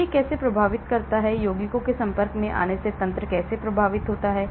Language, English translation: Hindi, So how does it affect; how does the mechanism affecting compounds exposure